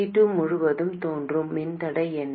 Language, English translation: Tamil, What is the resistance that appears across C2